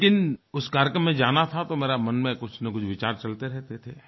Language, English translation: Hindi, However, since I had to attend that program some thoughts kept coming in my mind